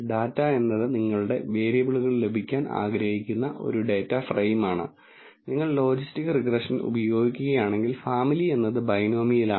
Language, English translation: Malayalam, Data is a data frame from which you want to obtain your variables and family is binomial if you use logistic regression